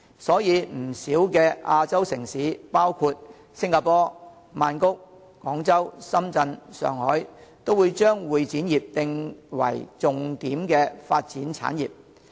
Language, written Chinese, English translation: Cantonese, 所以，不少亞洲城市，包括新加坡、曼谷、廣州、深圳、上海，也會將會展業定為重點發展產業。, For this reason a number of Asian cities including Singapore Bangkok Guangzhou Shenzhen and Shanghai have identified the convention and exhibition industry as a key industry for development